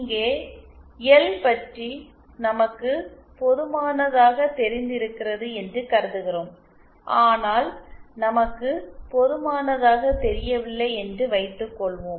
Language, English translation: Tamil, Here we are assuming that we have knowledge about L but suppose we do not have knowledge